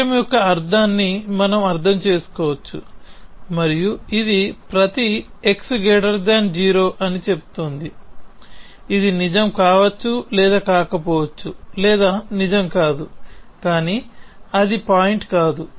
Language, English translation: Telugu, So, we can understand the meaning of the sentence and this is saying that every x is greater than 0, which may or may not be true or which is not true, but that that is not the point